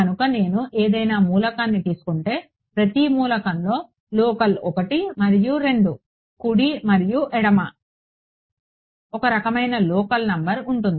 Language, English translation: Telugu, So, if I take any element so, there is a kind of a local numbering every element has a local 1 and a 2 left and right